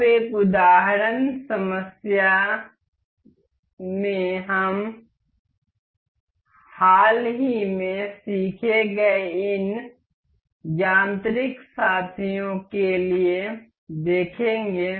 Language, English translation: Hindi, Now, in an example problem, we will look for the recently learned this mechanical mates available